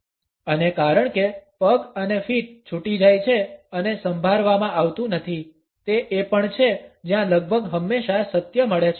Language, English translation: Gujarati, And since the legs and feet go off and unrehearsed, it is also where the truth is almost always found